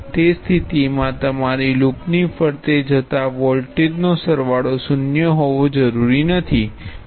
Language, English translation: Gujarati, In that case, the sum of voltages as you go around the loop is not necessarily zero